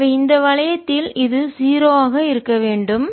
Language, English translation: Tamil, so in this loop this should be zero